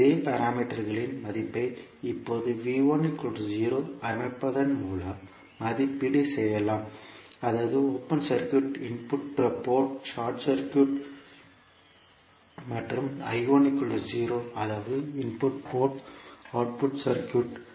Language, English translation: Tamil, Here the value of parameters can be evaluated by now setting V 1 is equal to 0 that means input port is short circuited and I 1 is equal to 0 that means input port is open circuited